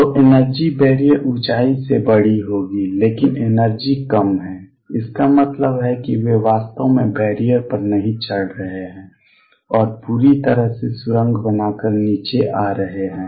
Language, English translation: Hindi, So, the energy would be larger than the barrier height, but the energy is lower; that means, they are not actually climbing the barrier and coming down there all tunneling through